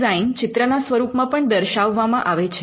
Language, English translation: Gujarati, The design is also shown in a graphical representation